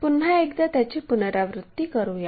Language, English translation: Marathi, Let us repeat it once again